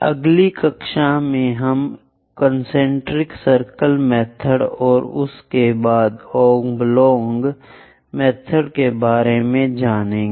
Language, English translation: Hindi, In the next class, we will learn about concentric circle method and thereafter oblong method